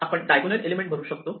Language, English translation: Marathi, So I can now fill up this diagonal